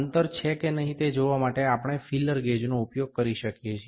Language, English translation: Gujarati, We can use the feeler gauge to see, if the gap is there or not